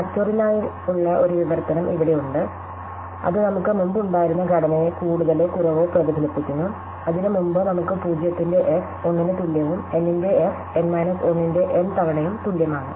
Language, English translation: Malayalam, So, here is a translation for factorial which more or less reflects the structure that we had before, remember that the structure that we had before that was that f of 0 is equal to 1 and f of n is equal to n times f of n minus 1